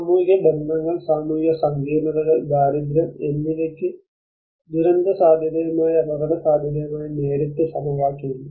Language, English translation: Malayalam, The social relationships; the social complexities, the poverty, poverty has a direct equation with the disaster risk and the vulnerability